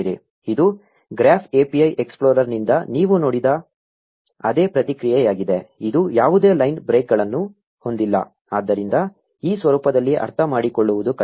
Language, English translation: Kannada, This is exactly the same response you saw from the Graph API explorer, except that this has no line breaks, so it is harder to understand in this format